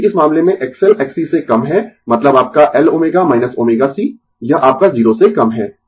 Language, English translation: Hindi, Because, in this case X L less than X C mean your L omega minus omega c, this is your less than 0